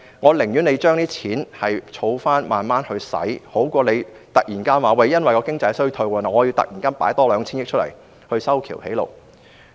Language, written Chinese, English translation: Cantonese, 我寧願政府把這些錢儲起來慢慢使用，總比突然因為經濟衰退而突然多撥出 2,000 億元用作修橋築路好。, I would rather prefer the Government to save the money for future use which is far better than abruptly forking out 200 billion for road and bridge construction because of economic recession